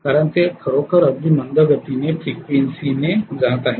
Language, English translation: Marathi, Because it is really going at a very very slow frequency